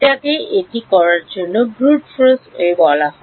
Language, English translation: Bengali, That is what is called a brute force way of doing it